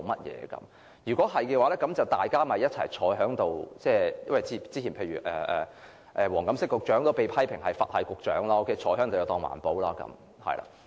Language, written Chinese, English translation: Cantonese, 這樣的話，大家其實坐在一起便可，因為黃錦星局長早前也被批評為"佛系"局長，坐着便當作推動環保。, In that case it will be fine if they just sit together because Secretary WONG Kam - shing has been dismissed as a Buddhist - style Bureau Director who just sits there to promote environmentalism